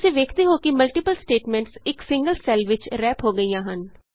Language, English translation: Punjabi, You see that the multiple statements get wrapped in a single cell